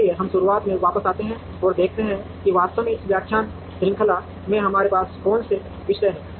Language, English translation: Hindi, So, let us come back from the beginning and see what are the topics that we have actually covered in this lecture series